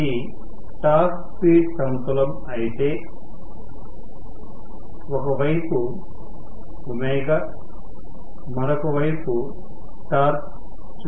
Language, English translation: Telugu, If this is the torque speed plane on one side I am showing omega on other side I am showing Te